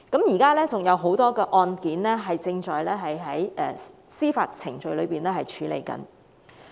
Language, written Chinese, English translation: Cantonese, 現時還有很多案件正在司法程序處理中。, At present many of these cases are still pending judicial process